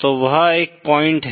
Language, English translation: Hindi, So that is one point